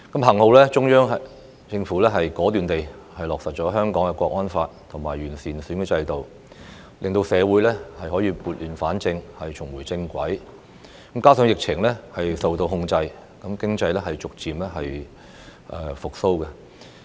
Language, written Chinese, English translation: Cantonese, 幸好，中央政府果斷地落實《香港國安法》及完善選舉制度，令社會可以撥亂反正，重回正軌，加上疫情受到控制，經濟逐漸復蘇。, Fortunately the Central Government has decisively implemented the National Security Law for Hong Kong and improved the electoral system in an bid to right the wrongs and put society back on track . Moreover the economy has gradually recovered as the pandemic was under control